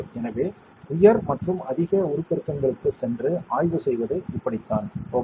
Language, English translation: Tamil, So that is how you do inspection by going to higher and higher magnifications, ok